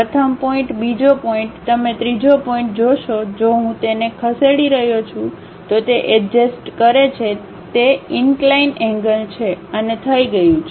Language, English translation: Gujarati, First point, second point, you see third point if I am moving it adjusts it is inclination angle and done